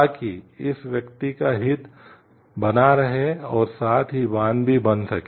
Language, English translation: Hindi, So, that this person’s interest is maintained and also the dam could be done